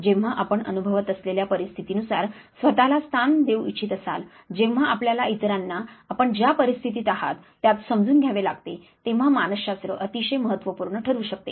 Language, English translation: Marathi, So, when you want to position yourself according to the life situations that you are experiencing when you have to understand others in the type of scenario you are in, psychology can be instrumental